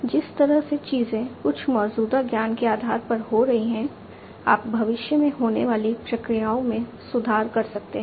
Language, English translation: Hindi, The way things are happening based on certain existing knowledge you can try to improve upon the processes in the future and so on